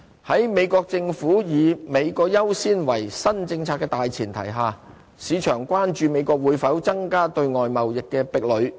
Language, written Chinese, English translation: Cantonese, 在美國政府以"美國優先"為新政策的大前提下，市場關注美國會否增加對外貿易的壁壘。, On the backdrop of the new policy of putting America First proposed by the new regime in the United States the market is concerned about whether the United States will impose more trade barriers